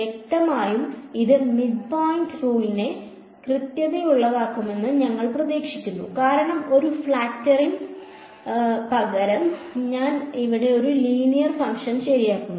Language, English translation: Malayalam, Obviously, we expect this to be more accurate than the midpoint rule ok, because instead of a flatting I am fitting a linear function over here ok